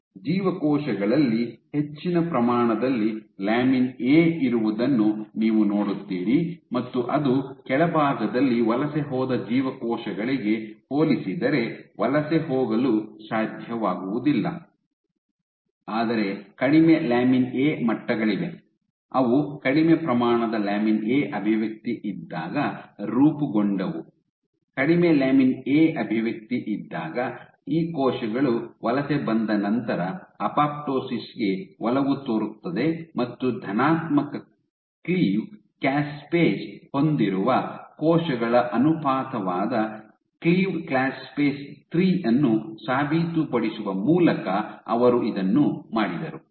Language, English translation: Kannada, So, you would see that there is a greater amount of lamin A in the cells which is remained at the top, were unable to migrate compared to the cells which did migrate to the bottom, but there is one cost of low lamin A levels, what they formed was in the cells which exhibited less amount of lamin A expression, when there was low lamin A expression, these cells also had a tendency to apoptosis after they migrated and this they did this as a by proving the caspase 3 cleaved caspase 3, the proportion of cells which had positive cleave caspase 3